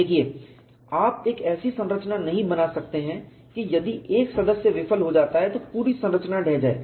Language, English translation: Hindi, See you cannot design a structure that if one member fails the whole structure collapse